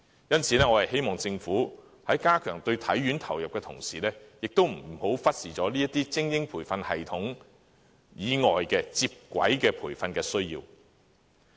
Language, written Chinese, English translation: Cantonese, 因此，我希望政府加強對體院投入的同時，亦不要忽視精英培訓系統以外接軌培訓的需要。, Therefore I hope the Government will not turn a blind eye to the needs of the bridging training provided outside of the elite athlete training system while enhancing the allocation for HKSI